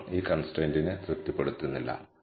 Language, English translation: Malayalam, 21 does not satisfy this constraint